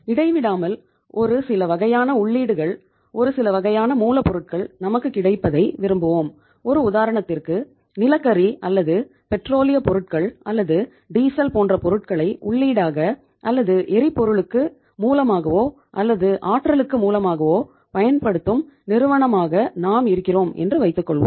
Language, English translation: Tamil, To have uninterrupted supplies of certain kind of inputs certain kind of the raw materials we would like to have say for example now we are a firm which is using as a raw material say coal or we are using petroleum products, diesel as a as a input or as a uh source of fuel or source of energy